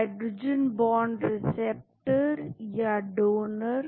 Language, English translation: Hindi, Hydrogen bond acceptors or donors